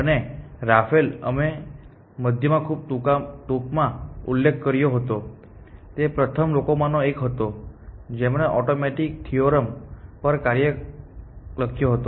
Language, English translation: Gujarati, And Raphael, we had mentioned very briefly in passing, he was one of the first people to write a program to do automated theorem proving essentially